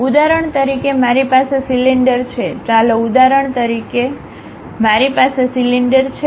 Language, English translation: Gujarati, For example, I have a cylinder, let for example, I have a cylinder